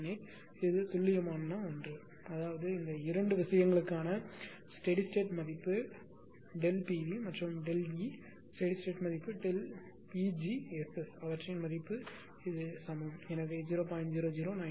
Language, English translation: Tamil, 0098 exact one this is the exact one; that means, steady state value for these 2 things delta Pg and delta E that delta Pg and delta E steady state value their same is equal to delta Pg SS so 0